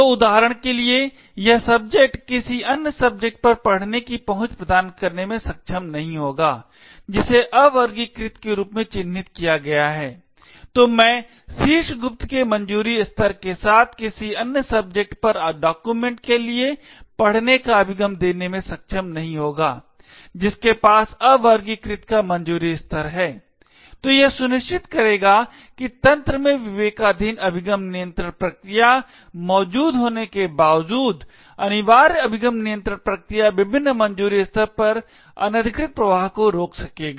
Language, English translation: Hindi, So for example this subject will not be able to grant a read access to another subject who is marked as unclassified, so I subject with a clearance level of top secret will not be able to grant read access for a document to another subject who has an clearance level of unclassified, so this would ensure that even though the discretionary access control mechanisms are present in the system, the mandatory access control mechanisms would prevent unauthorised flow of information across the various clearance levels